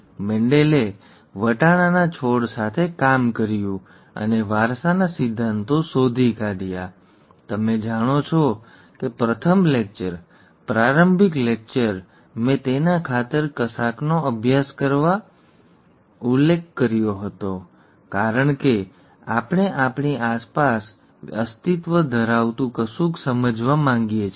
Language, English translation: Gujarati, Mendel worked with pea plants to discover the principles of inheritance, you know, the very first lecture, the introductory lecture, I had mentioned about studying something for the sake of it, studying something because we want to understand something that exists around us